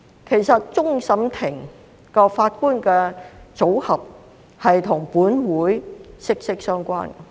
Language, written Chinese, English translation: Cantonese, 其實，終審法院法官的組合與本會息息相關。, In fact the composition of the judges of CFA is closely related to this Council